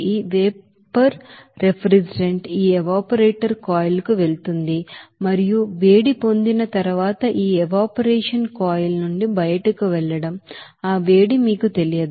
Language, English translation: Telugu, And this vapor refrigerant will go to this evaporator coil and you will see that it will be you know, again going out from this evaporation coil after getting heat, that heat is not known to you